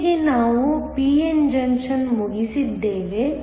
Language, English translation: Kannada, So, with this we are done with p n junctions